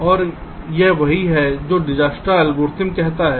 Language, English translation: Hindi, right, and this is what dijkstas algorithm does